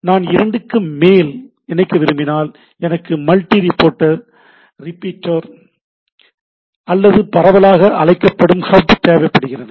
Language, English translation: Tamil, And if I want to connect more than two things, then I require a multi port repeater or popularly we called as a hub